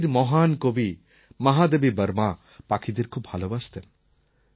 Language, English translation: Bengali, The great Hindi poetess Mahadevi Verma used to love birds